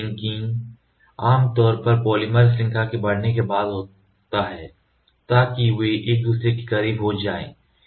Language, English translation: Hindi, Cross linking typically happens after the polymer chain grows enough so that they become close to each other